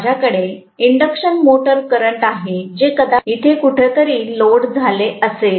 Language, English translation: Marathi, I am going to have the induction motor current probably somewhere here, if it is loaded